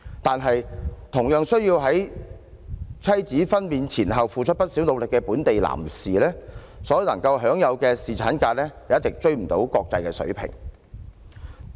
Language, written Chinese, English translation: Cantonese, 可是，同樣需要在妻子分娩前後付出不少努力的本地男士，所能享有的侍產假卻不能追上國際水平。, However male citizens in Hong Kong who need to work equally hard before and after their wives delivery are denied a paternity leave entitlement on a par with the international standard